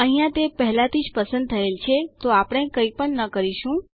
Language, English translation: Gujarati, Here it is already selected, so we will not do anything